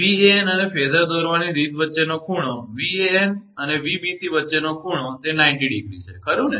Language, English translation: Gujarati, Angle between Van and the way phasor is drawn, angle between Van and Vbc it is 90 degree, right